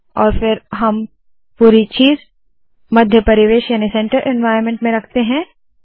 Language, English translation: Hindi, And then we put the whole thing in the center environment